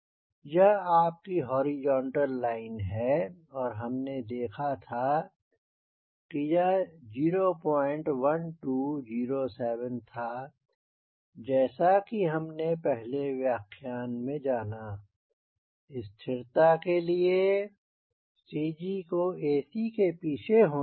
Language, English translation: Hindi, this was your horizontal line and we derived, as this was point one, two, zero, seven, as we have already seen in previous lecture, in order to have static stability your cg should be behind ac